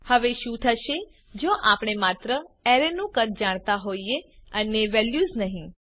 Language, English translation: Gujarati, Now what if we know only the size of the array and do not know the values